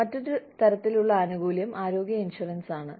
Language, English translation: Malayalam, The other type of benefit is health insurance